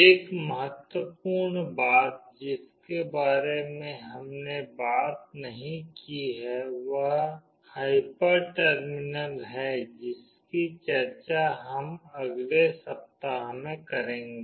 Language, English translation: Hindi, One important thing we have not talked about hyper terminal that we will be discussing in the next week